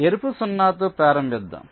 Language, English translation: Telugu, lets start with a red zero